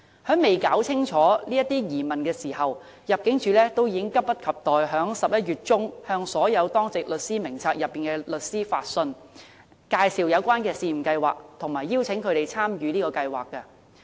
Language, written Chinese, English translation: Cantonese, 但入境處尚未弄澄清這些疑問，已經急不及待在11月中向所有當值律師名冊內的律師發信，介紹有關試驗計劃，並邀請他們參與。, Yet before these queries are duly addressed the Immigration Department jumped the gun in mid - November writing to all lawyers on the DLS roster so as to brief them and invite them to join the pilot scheme